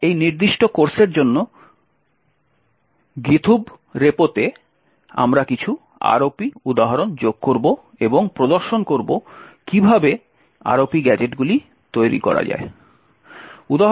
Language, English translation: Bengali, So, in the github repo for this particular course we would be adding some ROP examples and demonstrate how ROP gadgets can be built